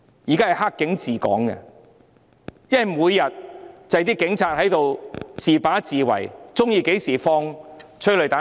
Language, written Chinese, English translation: Cantonese, 現在是"黑警"治港，因為每天也只是警察獨斷獨行，隨時喜歡便放催淚彈。, At present Hong Kong is ruled by bad cops because every day police officers make their own decisions and take matters into their own hands firing tear gas rounds whenever they like